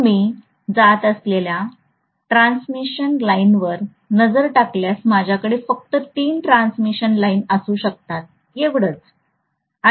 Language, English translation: Marathi, So throughout if I look at the transmission lines that are going I can just have three transmission lines, that’s it